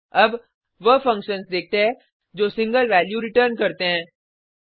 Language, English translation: Hindi, Now, let us see a function which returns multiple values